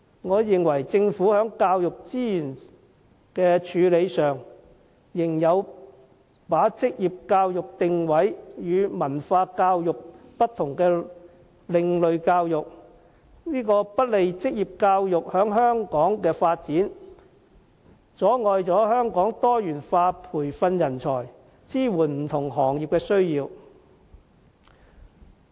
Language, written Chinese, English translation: Cantonese, 我認為，政府在教育資源的處理上，仍把職業教育定位為有別於文法教育的另類教育，這不利於職業教育在香港的發展，阻礙香港多元化培訓人才，以支援不同行業。, I think such a teaching ecology is highly perverted . In addition to improving tertiary education the Government should enable students to have an international vision . Regarding the Funding Scheme for Youth Exchange in the Mainland the Audit Commission criticized that the exchange programmes organized by the Home Affairs Bureau had placed too much emphasis on the Mainland programmes to the neglect of international programmes